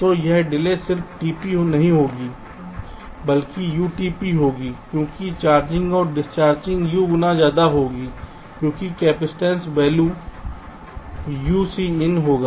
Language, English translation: Hindi, ok, so this delay will be not just t p but u times t p, because the charging and discharging will take u times more, because the capacitance value will be u into c in